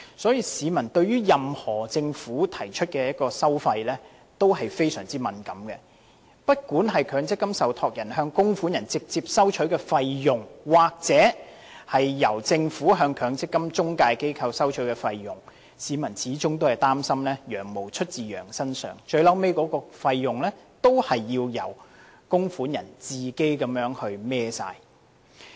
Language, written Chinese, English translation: Cantonese, 因此，市民對政府提出的任何收費項目也非常敏感，不管是強積金受託人向供款人直接收取的費用，還是政府向強積金中介機構收取的費用，他們始終擔心"羊毛出自羊身上"，最終還是要由供款人自行承擔所有費用。, For these reasons the public is very sensitive to any fee items proposed by the Government be it the fees collected directly by MPF trustees from contributors or the fees levied by the Government on MPF intermediaries . They are worried that the fleece comes off the sheeps back . All these fees will be eventually borne by the contributors themselves